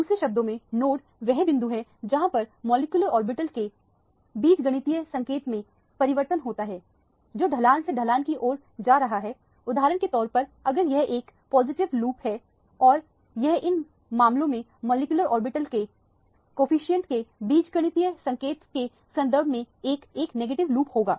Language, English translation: Hindi, In other words node is point where there is change in the algebraic sign of the molecular orbital going from the slope to the slope for example, if this is a positive loop and this would be a negative loop in terms of the algebraic sign of the coefficient of the molecular orbital in these cases